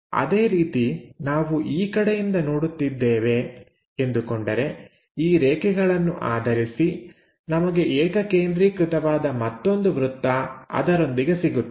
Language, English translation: Kannada, Similarly, we are looking in this direction, so based on these lines, we will get one more circle, concentric with that